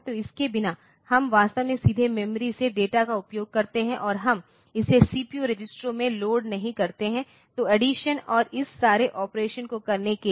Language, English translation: Hindi, So, without so, we it is actually use the data from the memory directly, and we do not do not load it into the CPU registers; so for doing the addition and all this operation